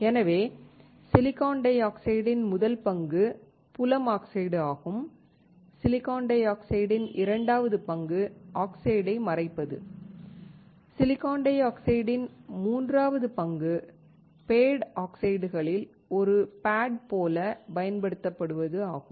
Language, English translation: Tamil, So, first role we have seen of silicon dioxide field oxides; second role of silicon dioxide is masking oxide; third role of silicon dioxide is to use as a pad in the pad oxides